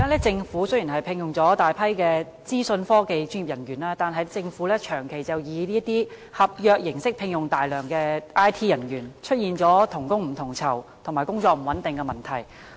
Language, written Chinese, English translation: Cantonese, 政府現在雖然聘用了大批資訊科技專業人員，但長期以合約形式聘用，出現同工不同酬及工作不穩定的問題。, Though the Government has employed a large number of IT professionals they have been employed on contract terms for a prolonged period begging the concerns of unequal pay for equal work and job insecurity